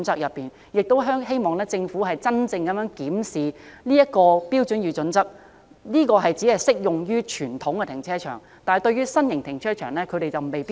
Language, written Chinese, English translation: Cantonese, 所以，希望政府檢視《香港規劃標準與準則》的準則是否只適用於傳統停車場，未必適用於新型停車場。, Hence I hope that the Government will review whether the HKPSG is applicable to traditional car parks only but not to new car parks